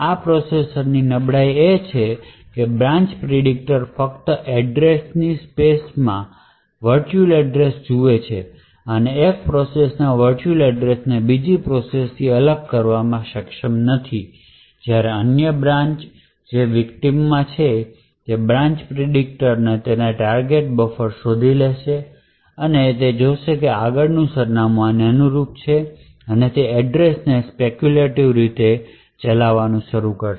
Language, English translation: Gujarati, The vulnerability in this processor is that the branch predictor only looks at the virtual address in an address space and is not able to separate the virtual address of one process from and other process does when this branch in the victim also executes the branch predictor would look up its branch target buffer and it would find that the next address to be executed corresponds to this address and it would start to speculatively execute this